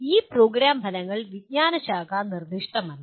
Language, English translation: Malayalam, These program outcomes are discipline nonspecific